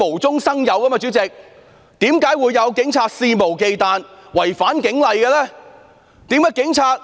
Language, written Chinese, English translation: Cantonese, 主席，為何警察肆無忌憚違反警例？, President how come the Police could violate the police rules recklessly?